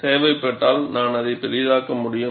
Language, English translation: Tamil, If it is necessary, I can also enlarge it